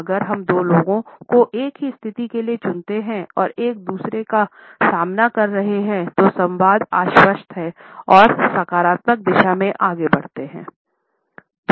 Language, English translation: Hindi, If we find two people opting for the same position and facing each other the dialogue is confident and yet it moves in a positive direction